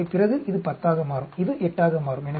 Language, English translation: Tamil, So, then this will become 10, this will become 8